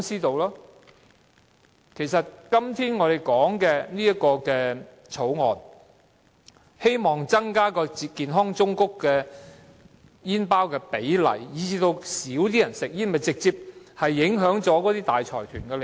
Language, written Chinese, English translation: Cantonese, 政府今天提出修訂命令，希望擴大健康忠告圖像佔煙包的比例，從而減少市民吸煙，此舉會直接影響大財團的利益。, The Amendment Order proposed by the Government today to increase the proportion of health warning images on cigarette packets as a means to reduce smoking among people will directly affect the interests of large consortia